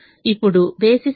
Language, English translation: Telugu, now what is the basis